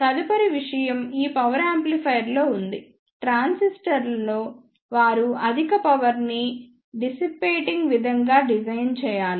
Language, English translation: Telugu, The next thing is in this power amplifier the transistor should be designed in such a way that they should be capable of dissipating the high power